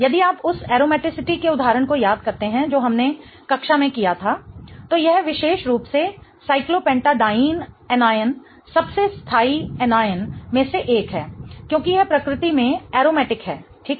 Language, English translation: Hindi, If you recall the aromaticity example that we did in class, this particular anion, the cyclopentydine anion is one of the most stable anions because it is aromatic in nature